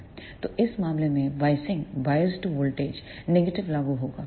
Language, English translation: Hindi, So, in this case the biased voltage applied will be negative